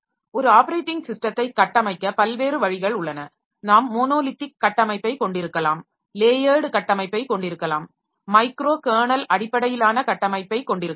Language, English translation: Tamil, Next we will have so there are various OS to structure and operating system like we can have monolithic structure, we can have layered structure, we can have microkernel based structure